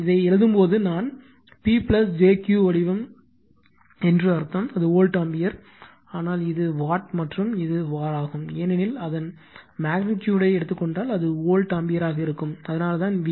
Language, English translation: Tamil, When you write this in form, I mean P plus jQ form, it will be volt ampere right, but this one is watt, and this one is var because, if you take its magnitude, it will be volt ampere that is why we write VA